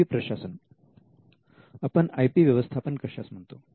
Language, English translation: Marathi, IP administration: what we call IP management